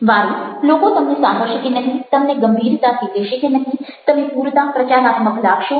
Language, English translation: Gujarati, ok, whether people will listen to you, will take you seriously or not, will find you propagative enough can